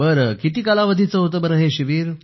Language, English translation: Marathi, How long was that camp